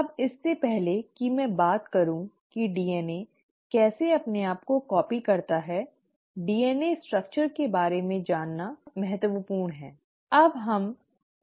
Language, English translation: Hindi, Now, before I get into the nitty gritties of exactly how DNA copies itself, it is important to know and refresh our memory about the DNA structure